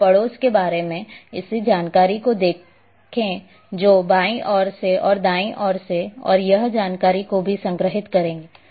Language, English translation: Hindi, And see this information about neighbourhood who who is on the left side, who is on the right side that information is also stored